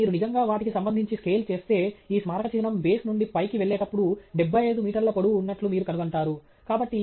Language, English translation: Telugu, So, if you actually scale with respect to them, you will find that this monument going from, you know, from the base all the way to the top is something like 75 meters tall okay